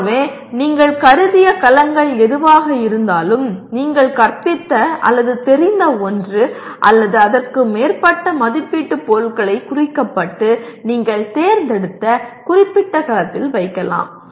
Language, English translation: Tamil, So whatever cells that you consider are relevant to the course that you have taught or familiar with write one or more assessment items that can be tagged and put in that particular cell that you have chosen